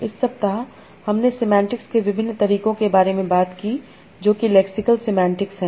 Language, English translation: Hindi, And so in this week we have talked about a different method of semantics, that is lexal semantics